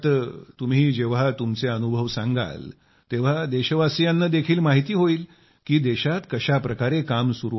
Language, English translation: Marathi, So I would like that through your account the countrymen will also get information about how work is going on in the country